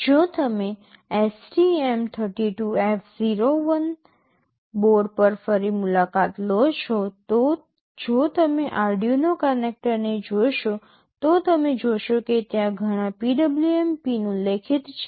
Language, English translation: Gujarati, If you revisit the STM32F401 board, if you look at the Arduino connector you will see there are several PWM pins mentioned